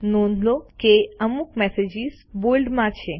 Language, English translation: Gujarati, Notice that some messages are in bold